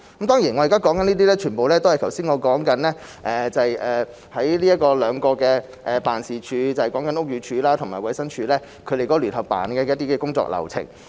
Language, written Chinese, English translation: Cantonese, 當然，我現在所說的全部都是剛才我所說的兩個辦事處，即屋宇署及食環署的聯辦處的一些工作流程。, Certainly what I am talking about is the workflow of the two offices that I have mentioned just now namely JO set up by the Buildings Department and FEHD